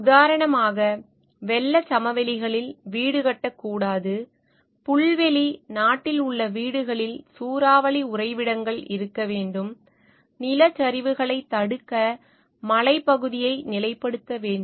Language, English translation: Tamil, For instance, home should not be built in floodplains, homes in prairie country should have tornado shelters, hillside should be stabilized to prevent landslides